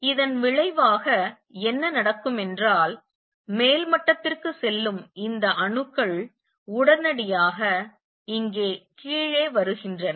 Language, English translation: Tamil, As a result what would happened these atoms that go to the upper level immediately come down here